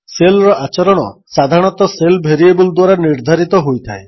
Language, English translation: Odia, The behavior of the shell is generally determined by the shell variables